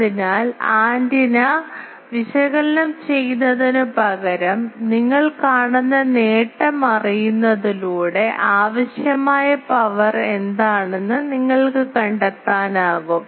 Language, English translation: Malayalam, So, knowing the gain you see instead of analyzing the antenna also you can find out what is the power required